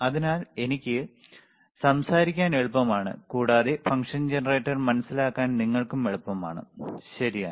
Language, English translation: Malayalam, So, it is easy for me to talk, and easy for you to understand the function generator, all right